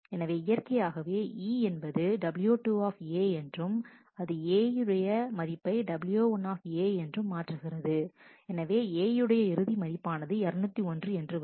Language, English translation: Tamil, So, naturally E as w 2 A has changed the value of A after w 1 A naturally the final value of A will be 201